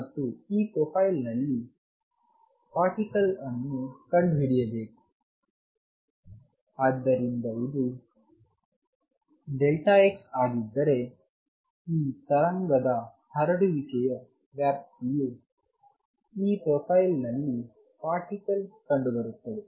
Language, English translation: Kannada, And particle is to be found within this profile; so let say if this is delta x, the extent of this wave spreading then particle is found to be found within this profile